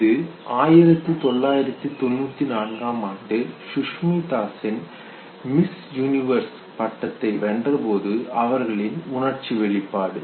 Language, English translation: Tamil, This is the expression of feelings, when Sushmita Sen won Miss Universe in 1994